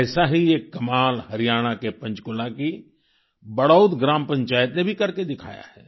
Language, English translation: Hindi, A similar amazing feat has been achieved by the Badaut village Panchayat of Panchkula in Haryana